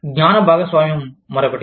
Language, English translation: Telugu, Knowledge sharing, is another one